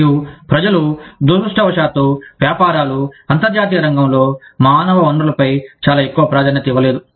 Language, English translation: Telugu, And people, unfortunately businesses, do not place a very high priority, on human resources, in the international arena